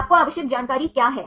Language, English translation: Hindi, What is the necessary information you need